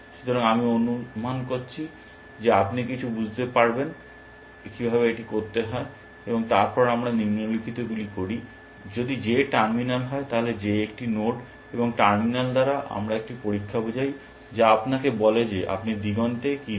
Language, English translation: Bengali, So, I am assuming that you will some of figure out how to do that, and then we do the following, if J is terminal, so J is a node, and by terminal we mean a test, which tells you whether you on the horizon or not